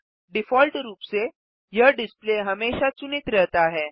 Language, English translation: Hindi, By default, this display is always selected